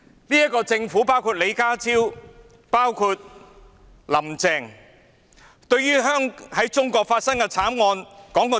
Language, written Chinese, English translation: Cantonese, "這個政府包括李家超和"林鄭"在內，對於在中國發生的慘案說過些甚麼？, What has this Government including John LEE and Carrie LAM said about the tragedies that happened in China?